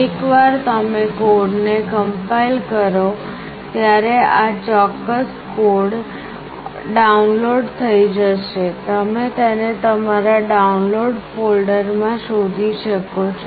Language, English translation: Gujarati, Once you compile the code this particular code gets downloaded, you can find this in your download folder